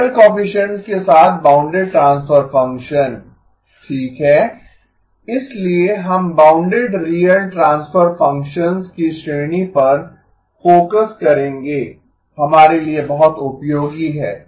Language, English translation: Hindi, Bounded transfer function with real coefficients okay, so we will be focusing on the class of bounded real transfer functions, very useful for us